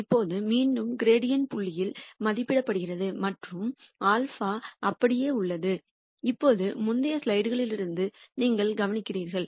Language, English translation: Tamil, Now, again the gradient is evaluated at the new point and the alpha remains the same and now you notice from the previous slides